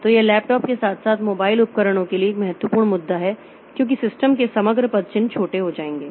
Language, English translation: Hindi, So, this is an important issue for laptops as well as mobile devices because the overall footprint of the system will become small